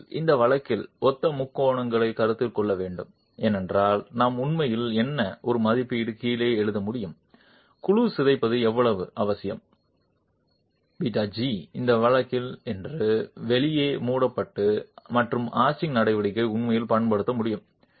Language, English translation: Tamil, If you were to consider the similar triangles in this case, can actually write down an estimate of what how much of deformation of the panel is essential delta g in this case such that the gap is closed and arching action can actually be made use of